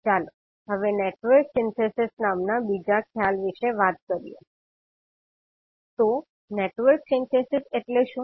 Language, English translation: Gujarati, Now let us talk about another concept called Network Synthesis, so what is Network Synthesis